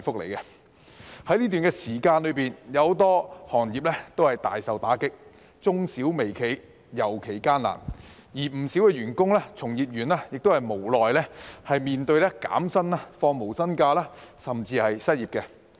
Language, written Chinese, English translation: Cantonese, 在這段時間，許多行業皆大受打擊，中小微企業尤其艱難，而不少員工、從業員亦無奈面對減薪、放無薪假，甚至失業。, During this period of time many trades and industries have been hard hit and in particular medium small and micro enterprises have fared poorly . Many employees and practitioners have no choice but to face pay cuts no - pay leave and even unemployment